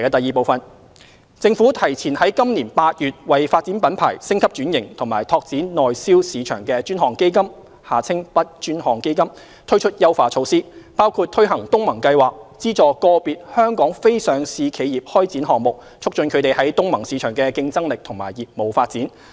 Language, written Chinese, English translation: Cantonese, 二政府提前自今年8月為"發展品牌、升級轉型及拓展內銷市場的專項基金"推出優化措施，包括推行東盟計劃，資助個別香港非上市企業開展項目，促進它們在東盟市場的競爭力和業務發展。, 2 The Government has advanced the launch of the enhancement measures to the Dedicated Fund on Branding Upgrading and Domestic Sales BUD Fund to August 2018 including the launch of the ASEAN Programme under the BUD Fund to provide funding support to individual non - listed Hong Kong enterprises in carrying out projects that aim to enhance their competitiveness and further business development in the ASEAN markets